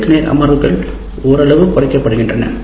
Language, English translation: Tamil, The face to face sessions are somewhat reduced